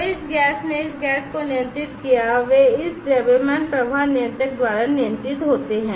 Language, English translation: Hindi, So, this gas controlled this gas they are controlled by this mass flow controller